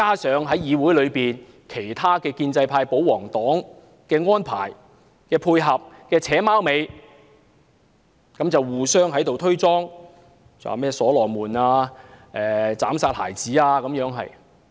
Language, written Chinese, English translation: Cantonese, 此外，議會有建制派、保皇黨的安排、配合和"扯貓尾"，互相推卸責任，把修正案說成所羅門斬殺孩子的故事。, What is more in this Council the royalists and pro - establishment camp collaborating and conniving with each other and shirking responsibilities the amendments are described as the killing of a baby by King Solomon